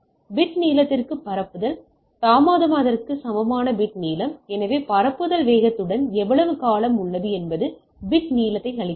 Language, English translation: Tamil, So, bit length equal to propagation delay into bit duration, so how much duration is there along with the propagation speed is give me the bit length